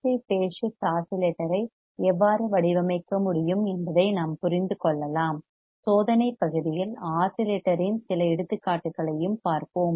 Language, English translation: Tamil, We can understand how we can design an RC phase shift oscillator we will also see few examples of the oscillator in the experimental part